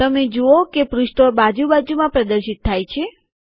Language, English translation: Gujarati, You see that the pages are displayed in side by side manner